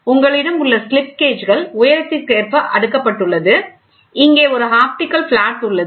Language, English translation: Tamil, So, you have slip gauges which are arranged to the height, ok, you can then you take an optical flat